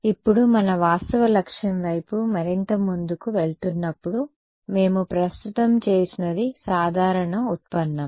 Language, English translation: Telugu, So, now, proceeding further towards our actual objective, what we did right now was the general derivation